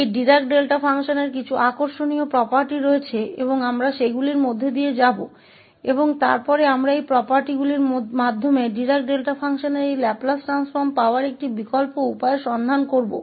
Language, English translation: Hindi, There are some interesting properties of this Dirac Delta function and we will go through them and we will look an alternative way of getting this Laplace transform of Dirac Delta function through these properties